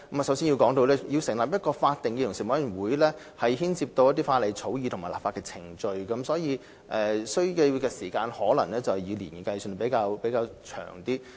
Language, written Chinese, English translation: Cantonese, 首先，成立一個法定的委員會將牽涉法例草擬和立法程序，所需時間可能以年計，時間較長。, First setting up a statutory commission will involve law drafting and a legislative process . This may require a long time as it can take years of time